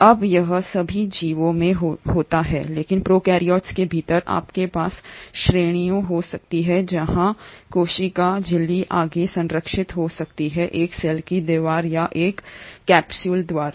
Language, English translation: Hindi, Now this has to be there in all the organisms, but within prokaryotes you can have categories where in the cell membrane may be further protected by a cell wall or a capsule